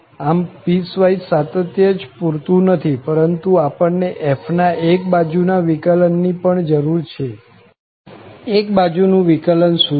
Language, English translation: Gujarati, So, not only just piecewise continuity is enough but we also need one sided derivatives of f, what are the one sided derivatives